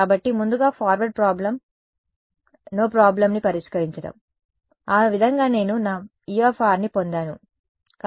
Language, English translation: Telugu, So, first solving the forward problem no problem, that is how I got my E r right